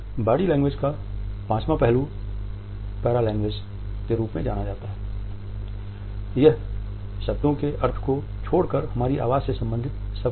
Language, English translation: Hindi, The fifth aspect of body language is known as paralanguage, it is everything which is related with our voice except the meaning of the words